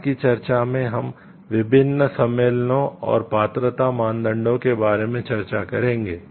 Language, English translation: Hindi, In the subsequent discussion, we will discuss about the different conventions and eligibility criteria